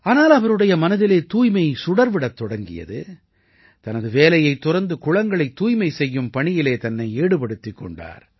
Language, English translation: Tamil, However, such a sense of devotion for cleanliness ignited in his mind that he left his job and started cleaning ponds